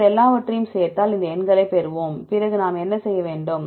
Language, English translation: Tamil, If you add up everything then we will get these numbers then what we have to do